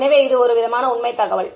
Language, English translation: Tamil, So, this is sort of facts information right